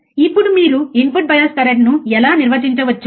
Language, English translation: Telugu, Now, thus, how you can define input bias current